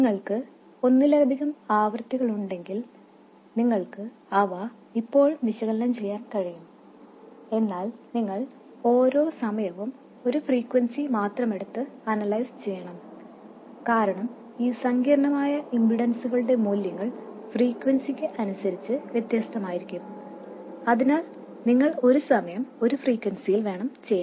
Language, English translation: Malayalam, If you have multiple frequencies you can still analyze them but you have to consider the frequencies one at a time and analyze them separately because the values of these complex impedances can be different depending on theB has only omega 0